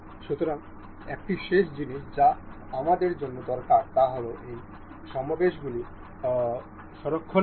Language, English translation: Bengali, So, one last thing that we need to know is to for saving of these assembly